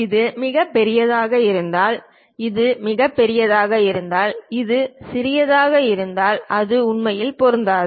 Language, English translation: Tamil, If it is too large if this one is large and if this one is small it cannot really fit into that